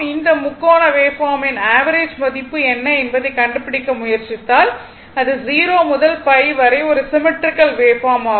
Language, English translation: Tamil, If you try to find out what is the average value of this triangular wave form ah, it is a symmetrical wave form in between 0 to pi right